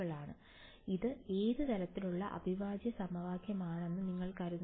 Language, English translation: Malayalam, So, what kind of an integral equation do you think, this is